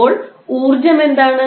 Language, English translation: Malayalam, So, what is energy